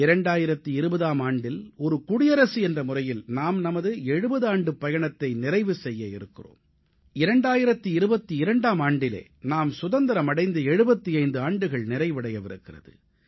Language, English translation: Tamil, In the year 2020, we shall complete 70 years as a Republic and in 2022, we shall enter 75th year of our Independence